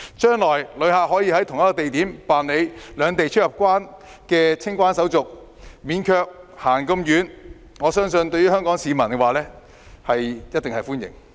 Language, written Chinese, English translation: Cantonese, 將來，旅客可以在同一地點辦理兩地出入境清關手續，無須走太多路，我相信香港市民一定會歡迎。, In the future travellers can go through CIQ procedures at the same place without having to walk a long way . I believe that the general public will welcome such an arrangement